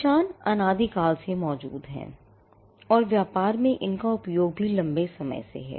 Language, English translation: Hindi, Marks have existed since time immemorial and the usage in business has also been there for a long time